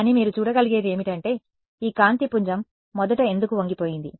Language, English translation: Telugu, But what you can see is, why did this beam of light get bent in the first place